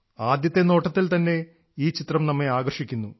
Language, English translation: Malayalam, This picture catches our attention at the very first sight itself